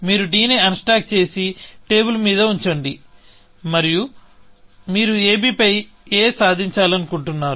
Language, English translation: Telugu, You unstack d, and put it on the table, and you want to achieve a on ab